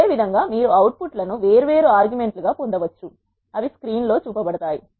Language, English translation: Telugu, Similarly you can get the outputs are different arguments which are passed which are shown in the screen